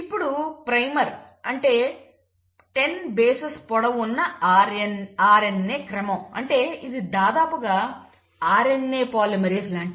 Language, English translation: Telugu, Now primer is nothing but about 10 bases long RNA sequence, so this is like an RNA polymerase